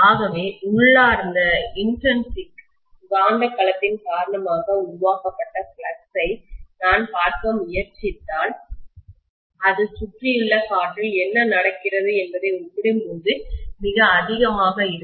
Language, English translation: Tamil, So if I try to look at the flux that is created it due to the intrinsic magnetic domain, that will be much higher as compared to what is happening in the surrounding air